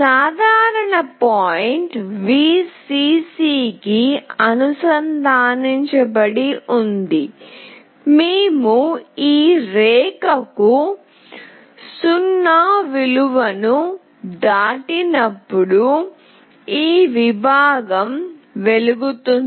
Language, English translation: Telugu, The common point is connected to Vcc, this segment will glow when we pass a 0 value to this line